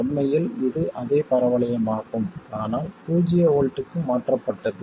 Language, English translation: Tamil, In fact it is the same parabola as this but shifted to 0 volts